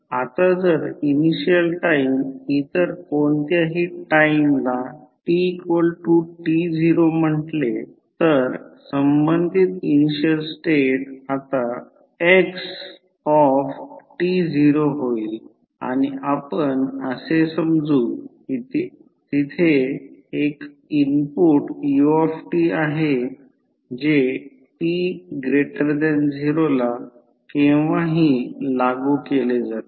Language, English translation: Marathi, Now, if initial time is say any other time t naught the corresponding initial state will now become xt naught and we assume that there is an input that is ut which is applied at any time t greater than 0